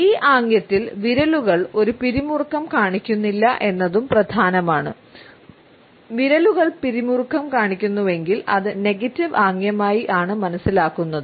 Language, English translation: Malayalam, It is also important that fingers do not show any tension in this gesture, if the fingers are tense then it can be understood easily as a negative gesture